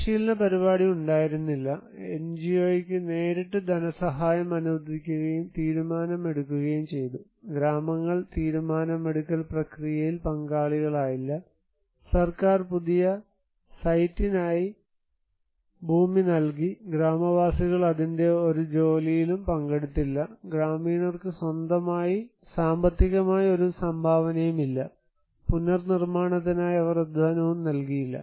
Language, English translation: Malayalam, There was no training program, allocation of financial assistance given to the NGO directly and decision makings, villages were not involved into the decision making process, government has provided the land for new site, villagers did not share any part of that, no contribution for the villagers financially, they did not contribute any labour for the reconstructions